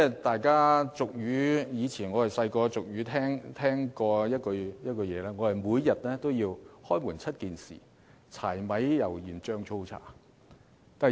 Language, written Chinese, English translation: Cantonese, 大家年幼時也曾聽過一句俗語，就是每天也離不開"開門七件事"，即柴、米、油、鹽、醬、醋、茶。, When we were small we must have heard the saying that went Life is all about the seven necessities to begin a day which are firewood rice oil salt sauce vinegar and tea